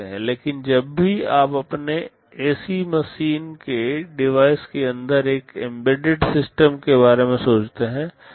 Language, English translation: Hindi, But whenever you think of an embedded system inside a device like your ac machine